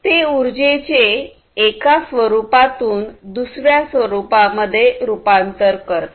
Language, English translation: Marathi, It converts the energy from one form to the energy in another form